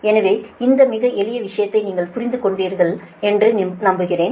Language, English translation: Tamil, so i hope you have understood this right, very simple thing